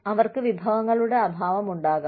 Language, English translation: Malayalam, They may have a lack of resources